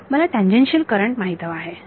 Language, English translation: Marathi, I want to know the tangential currents